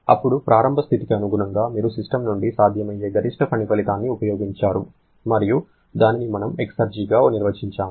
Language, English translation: Telugu, Then, correspond with the initial state, you have harness of maximum possible work output from the system and that is what we define as the exergy